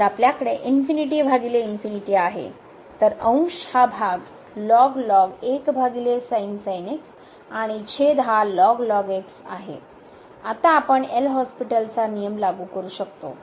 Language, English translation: Marathi, So, we have infinity by infinity so, the numerator is over and denominator is now we can apply the L’Hospital rule